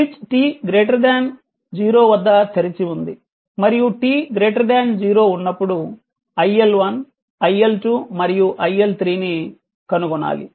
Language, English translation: Telugu, The switch is open at t greater than 0 right and the you have to determine iL1 iL2 and iL3 for t greater than 0